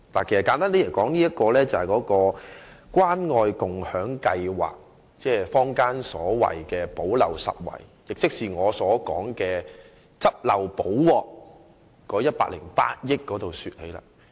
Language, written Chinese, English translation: Cantonese, 簡單而言，所涉及的是關愛共享計劃，亦即坊間所說的"補漏拾遺"，我認為是用作"執漏補鑊"的108億元。, Simply speaking it is related to the Caring and Sharing Scheme that is also the gap - filling measure as described by the public . I consider it an amount of 10.8 billion used for filling gaps and making amends